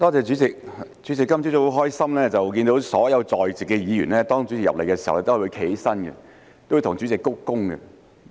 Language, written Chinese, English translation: Cantonese, 主席，我今早很高興看到主席進入會議廳時，所有在席議員也有站立向主席鞠躬。, President I am very happy to see that when the President entered the Chamber this morning all the Members present stood up and bowed to him